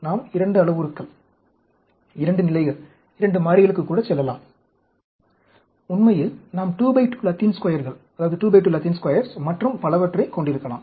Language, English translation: Tamil, We can go even 2 parameters, 2 levels, 2 variables, we can have 2 by 2 Latin Squares and so on, actually